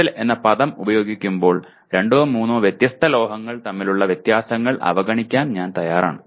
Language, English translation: Malayalam, When I use the word metal, I am willing to ignore differences between two or three different metals